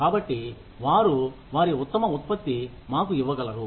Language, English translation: Telugu, So, that they can give us, their best output